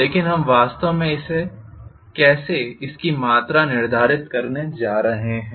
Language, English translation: Hindi, But how are we really going to quantify it